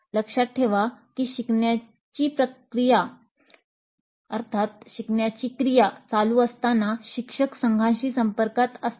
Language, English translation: Marathi, Note that while the learning activity is happening, the instructor is in close touch with the teams